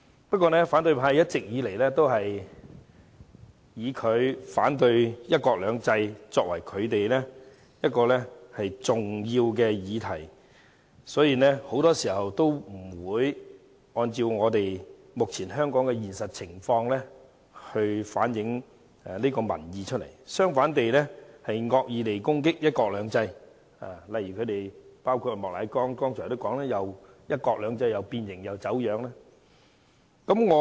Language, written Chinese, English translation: Cantonese, 然而，一直以來，反對派以反對"一國兩制"作為其重要議題，所以他們很多時候不會按照香港目前的現實情況反映民意，相反地更會惡意攻擊"一國兩制"，包括莫乃光議員剛才提到"一國兩制"變形、走樣云云。, But all along the opposition camp has made it their mission to oppose one country two systems . Hence they very often do not reflect public opinions in accordance with the prevailing situation of Hong Kong but instead attack one country two systems maliciously . For example Mr Charles Peter MOK said a moment ago that one country two systems has been deformed and distorted and so on